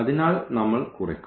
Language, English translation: Malayalam, So, we will just subtract